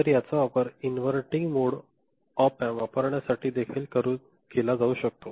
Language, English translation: Marathi, So, it can be used for using inverting mode op amp also